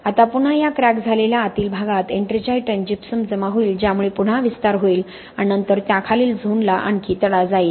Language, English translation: Marathi, Now further again this cracked interior will be having the ettringite and gypsum deposition which will lead to again expansion and then further crack the zone right under that, okay